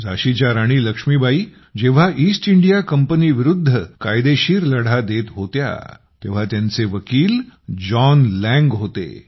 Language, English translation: Marathi, Actually, when the Queen of Jhansi Laxmibai was fighting a legal battle against the East India Company, her lawyer was John Lang